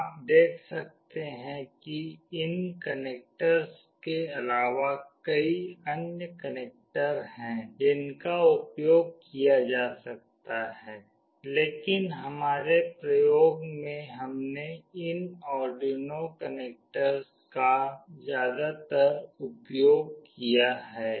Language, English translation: Hindi, You can see that apart from these connectors there are many other connectors that can be used, but in our experiment we have mostly used these Arduino connectors